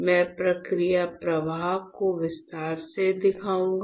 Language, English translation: Hindi, So, I will show you the process flow in detail